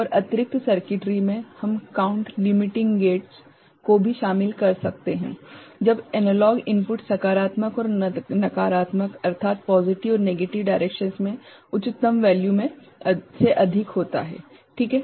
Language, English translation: Hindi, And in the additional circuitry, we also include count limiting gates when the analog input exceeds the highest value both in positive and negative directions ok